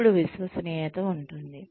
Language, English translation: Telugu, Then, there is reliability